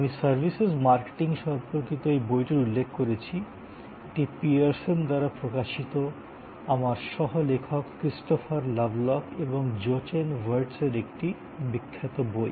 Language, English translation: Bengali, I referred to this book on Services Marketing, it is a famous book by Christopher Lovelock and Jochen Wirtz my co authors, published by Pearson